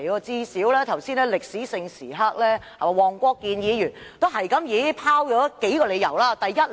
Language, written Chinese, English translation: Cantonese, 在早前的歷史性時刻，黃國健議員最少也拋出了數個理由。, At the earlier historic moment Mr WONG Kwok - kin at least gave a few reasons for his move